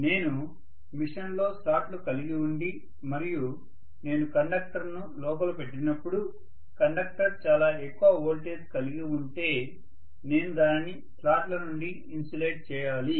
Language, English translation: Telugu, So when I have slots within the machine and I put conductors inside if the conductor is having extremely large voltage I have to insulate it against the slots as well